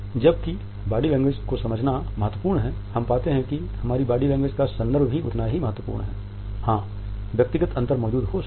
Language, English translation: Hindi, Whereas it is important to understand body language, we find that contextualizing our body language is equally important